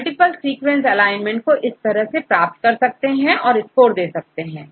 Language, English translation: Hindi, So, it takes a multiple sequence alignment and we give the score